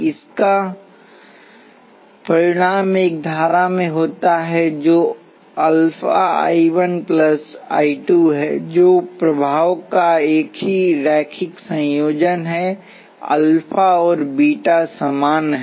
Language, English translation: Hindi, This result in a current which is alpha I 1 plus beta I 2 that is it is the same linear combination of the effects; alpha and beta are the same